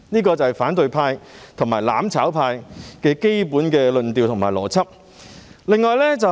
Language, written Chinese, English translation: Cantonese, 這就是反對派和"攬炒派"的基本論調和邏輯。, This is virtually the basic tone and logic of the opposition camp and the mutual destruction camp